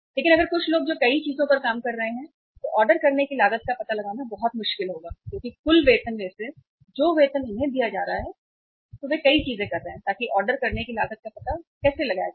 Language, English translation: Hindi, But if some people who are working on the multiple things, finding out the ordering cost will be very difficult because out of the total their salaries cost, the salaries they are being paid, they are doing many things so how to find out the ordering cost